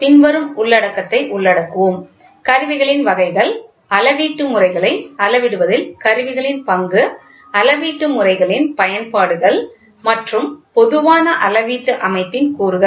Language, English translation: Tamil, So, today we will be covering the following content; types of instruments, then role of the instruments in measuring measurement systems, applications of measurement systems and elements of a generalized measurement system